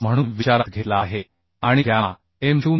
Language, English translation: Marathi, 25 and gamma m0 is 1